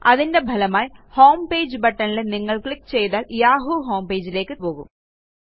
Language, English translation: Malayalam, As a result, clicking on the homepage button brings us to the yahoo homepage